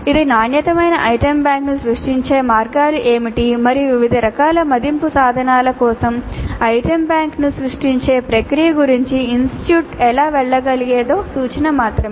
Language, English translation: Telugu, It is only an indicative of what are the possible ways of creating a quality item bank and how can the institute go about the process of creating an item bank for different types of assessment instruments